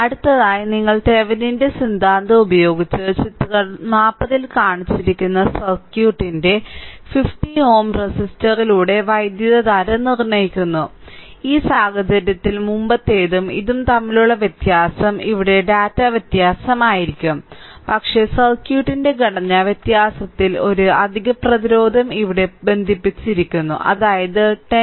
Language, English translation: Malayalam, So, next is you determine the current through 50 ohm resistor of the circuit, shown in figure 40 using Thevenin’s theorem, in this case difference between the previous one and this one that here data may be different, but structure of the circuit in difference that one extra resistance is connected here that is 10 ohm right